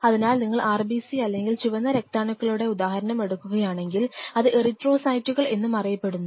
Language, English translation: Malayalam, So, if you taken for example, if we take the example of RBC or red blood cell which is also called erythrocytes